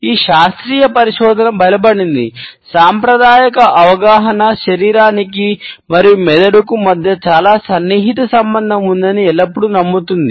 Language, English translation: Telugu, This scientific research has strengthened, the conventional understanding which always believed that there is a very close association between the body and the brain